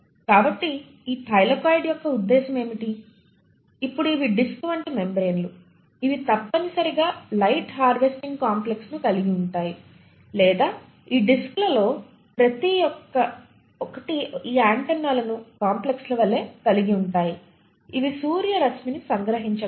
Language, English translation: Telugu, So what is the purpose of this Thylakoid, now these are disc like membranes which essentially harbour the light harvesting complex or let me say that each of these discs have these antenna like complexes which are suitably oriented so that they can capture the sunlight